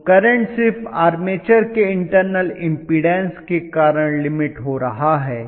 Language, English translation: Hindi, So current is limited only because of the internal impedance of the armature